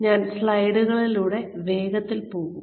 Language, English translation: Malayalam, So, I will quickly go through the slides